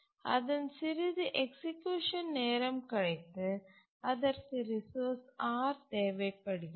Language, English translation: Tamil, But then after some time into the execution, it needs the resource